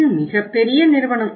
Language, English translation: Tamil, It is a very big company